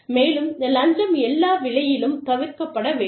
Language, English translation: Tamil, And, a bribe should be avoided, at all costs